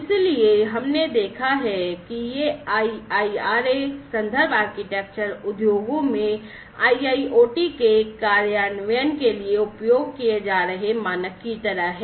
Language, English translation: Hindi, So, we have seen that this IIRA reference architecture is sort of like a de facto kind of standard being used for the implementation of IIoT in the industries